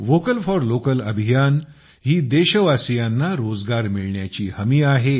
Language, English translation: Marathi, The Vocal For Local campaign is a guarantee of employment